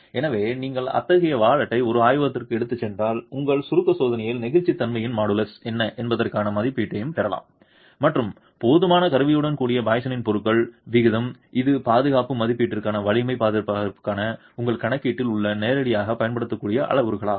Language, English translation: Tamil, So, it is possible that if you take such a wallet to a laboratory in your compression test you can also get an estimate of what the models of elasticity is and with adequate instrumentation even the poisons ratio of the material which are parameters that you can directly use in your calculations for strength estimates for the safety assessment itself